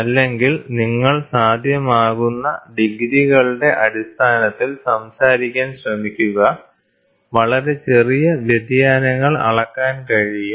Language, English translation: Malayalam, Or you try to talk in terms of degrees it is possible, very very small deviations can be measured